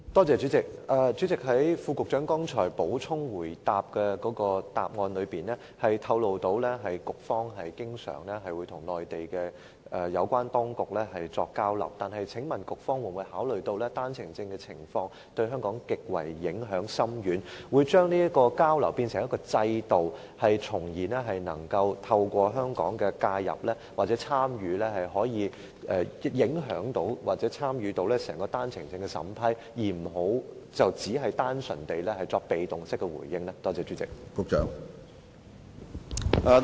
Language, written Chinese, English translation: Cantonese, 主席，局長剛才在回應補充質詢時透露局方經常與內地有關當局作交流，請問局方有否考慮到單程證的情況對香港構成極深遠的影響，可否把交流變成一個制度，透過香港的介入或參與，從而影響或參與整個單程證的審批程序，而不要單純地作被動式的回應呢？, President when responding to the supplementary question just now the Secretary revealed that the Bureau always has exchanges with the Mainland authorities concerned . Given the profound impact of OWPs on Hong Kong has the Bureau considered turning the exchanges into a system which allows Hong Kongs involvement or participation in order to exert influence on or participate in the entire processing of OWP applications instead of plainly making passive responses?